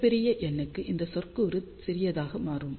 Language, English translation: Tamil, So, for very large n this term will become small